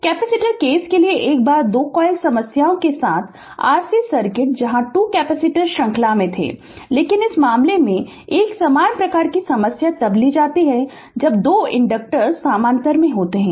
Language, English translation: Hindi, The once ah for capacitor case r c circuit will 2 point problem where 2 capacitors where in series, but in this case a similar type of problem is taken where in 2 inductors are in parallel